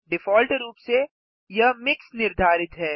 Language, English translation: Hindi, By default, it is set as MIX